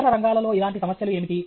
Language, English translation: Telugu, What similar problems exist in other fields